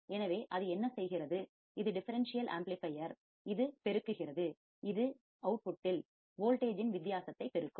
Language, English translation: Tamil, So, what is it doing, it is the differential amplifier, it is amplifying, it is amplifying the difference of voltage at the output